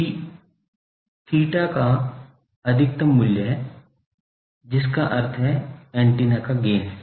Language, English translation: Hindi, G is the maximum value of G theta that means the gain of the antenna